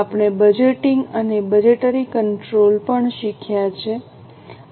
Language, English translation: Gujarati, We have also learned budgeting and budgetary control